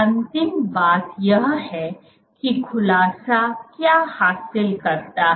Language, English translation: Hindi, The last point, so what does unfolding achieve